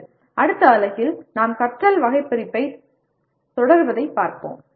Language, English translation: Tamil, Okay, the next unit we will look at continuing with our taxonomy of learning